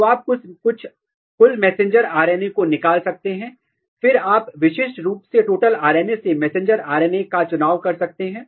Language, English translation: Hindi, So, basically what we do in the RNA sequencing, you extract total messenger RNA and then you can specifically remove messenger RNA from the total RNA